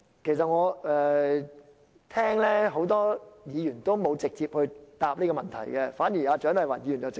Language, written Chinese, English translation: Cantonese, 其實很多議員沒有直接回答這個問題，除了蔣麗芸議員。, Actually many Members have not given a straightforward answer to this question except Dr CHIANG Lai - wan